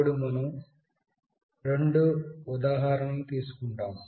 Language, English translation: Telugu, Then we will be taking two examples